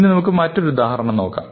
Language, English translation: Malayalam, So, let us look at another example